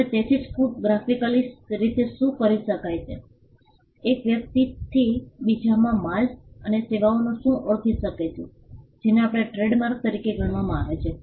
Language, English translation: Gujarati, Now so, what can be graphically represented, what can distinguish goods and services from one person to another this regarded as a trademark